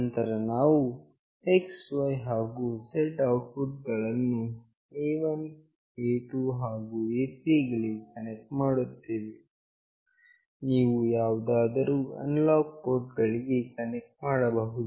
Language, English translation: Kannada, Then we will be connecting X, Y and Z outputs to A1, A2, and A3, you can connect to any analog port